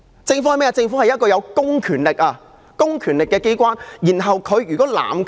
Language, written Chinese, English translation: Cantonese, 政府是一個有公權力的機關，它一旦濫權......, A government is an organization with public powers but if it abuses its power this incident is a case in point